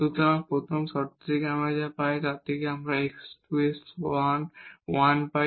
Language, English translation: Bengali, So, out of these what we get so from this first condition we are getting like x square is equal to 1